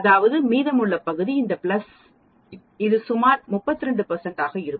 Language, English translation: Tamil, That means, the remaining area this plus this is going to be approximately 32 percent